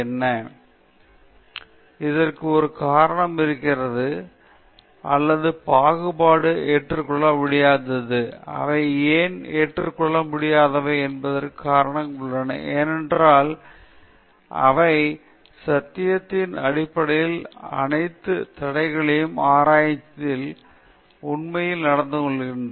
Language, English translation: Tamil, For example, plagiarism is unacceptable; there is a reason for that; or discrimination is unacceptable; there are reasons for why they are unacceptable, because they are all impediments in way of truth, finding truth in research